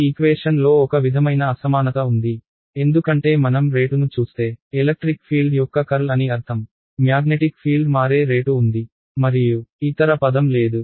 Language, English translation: Telugu, There is a sort of asymmetry in these equations right because if I look at rate of I mean the curl of electric field, there is a rate of change of magnetic field and no other term